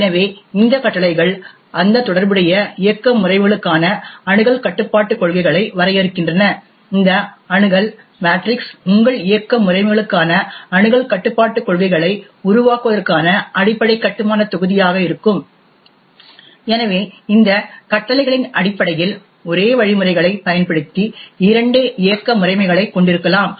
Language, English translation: Tamil, So these commands define the access control policies for that corresponding operating systems, this Access Matrix would be the basic building block for creating your access control policies for your operating systems, therefore we could have two operating systems using the same mechanisms based on these commands what we see is that the operating system can define how various objects can have access to the various objects resonate that system